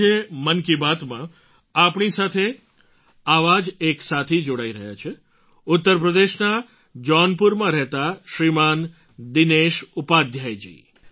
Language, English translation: Gujarati, Joining us in Mann Ki Baat today is one such friend Shriman Dinesh Upadhyay ji, resident of Jaunpur, U